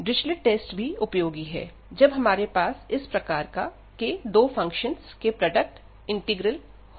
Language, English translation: Hindi, So, this Dirichlet’s test is also useful, when we have this kind of product of two integrals